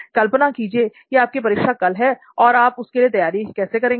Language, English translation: Hindi, Imagine you have an exam coming up the next day, but what would be your preparation for it